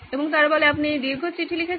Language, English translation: Bengali, And they say well you wrote this long letter